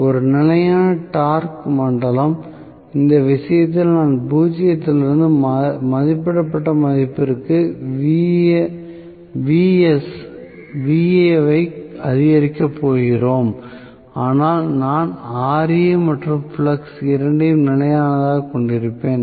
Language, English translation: Tamil, One is constant torque zone in this case we are going to have Va increasing from zero to rated value but I will have Ra and flux both are constant